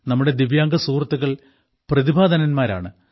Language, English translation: Malayalam, Divyang friends must also join such endeavours